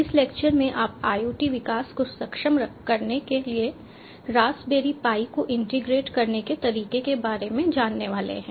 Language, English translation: Hindi, in this lecture you are going to learn about how to integrate raspberry pi for ah, for enabling iot development